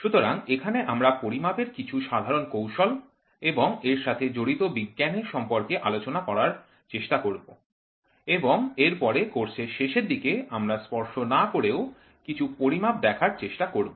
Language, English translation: Bengali, So, here in which we will try to cover some of the most common measurement techniques and the science which is involved and then later towards the end of the course, we will try to see some of the non contact measurements also